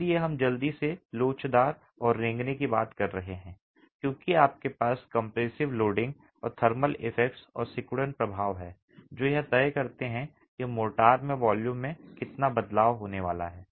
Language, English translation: Hindi, So, you're really talking of the elastic and creep shortening as you have compressive loading and the thermal effects and the shrinkage effects together deciding how much of volume change is going to happen in the motor itself